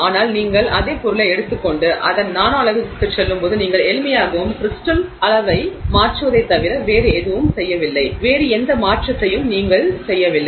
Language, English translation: Tamil, But when you take the same material and you go to the nanoscale of it, you simply, and so you are done nothing other than change the crystal size, no other change you are making, you are not changing the composition in any way, you are simply changing the crystal size